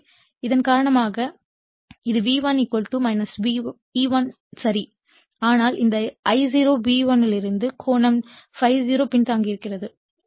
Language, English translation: Tamil, So, because of that your this is V1 = minus E1 is ok, but this I0 actually lagging / an angle ∅0 from V1